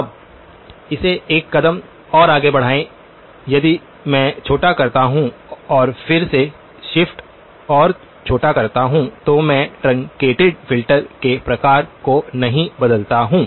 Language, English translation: Hindi, Now, take it one step further if I truncate and, shift and truncate again I do not change the on sort of the truncated filter